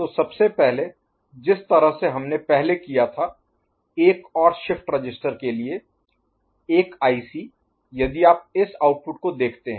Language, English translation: Hindi, So, first of all again the way we have done it for another shift register, another IC; if you look at this output